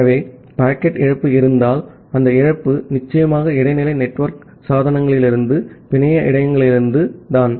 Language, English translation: Tamil, So, if there is a loss of packet, that loss is certainly from the network buffers from the intermediate network devices